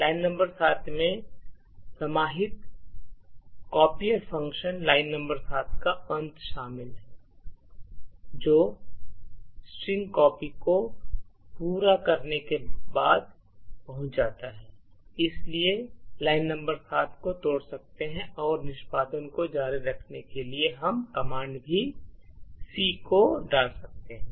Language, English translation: Hindi, So, line number 7 comprises of the end of the copier function line number 7 gets is reached after string copy completes its execution, so we could break line number 7 and in order to continue the execution we put the command C